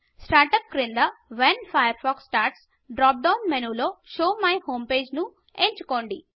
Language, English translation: Telugu, Under Start up, in the When Firefox starts drop down menu, select Show my home page